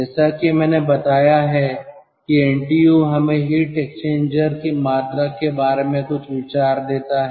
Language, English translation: Hindi, as i have told, ntu gives us some idea regarding the volume of the heat exchanger